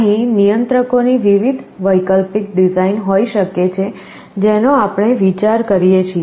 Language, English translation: Gujarati, There can be various alternate designs of controllers we can think of